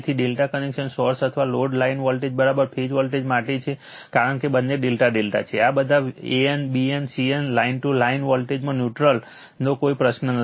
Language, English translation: Gujarati, So, for delta connected source or load line voltage is equal to phase voltage because, both are delta delta, there is no question neutral no an bn cn these all line to line